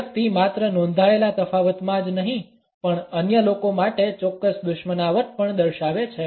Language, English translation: Gujarati, The person shows not only a noted in difference, but also a definite hostility to other people